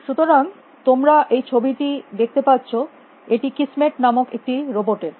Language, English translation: Bengali, So, you see this picture, it is robot call kismet